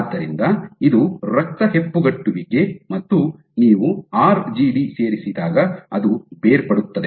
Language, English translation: Kannada, So, this is the clot, blood clot and when you add a RGD it falls apart